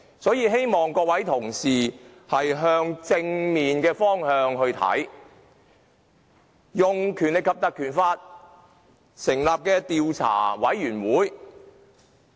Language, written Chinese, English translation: Cantonese, 所以，希望各位同事從正面的角度來看運用《條例》成立專責委員會的建議。, For that reason I hope Members will look positively the proposal of setting up a select committee under the Legislative Council Ordinance